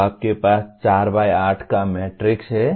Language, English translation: Hindi, So you have 4 by 8 matrix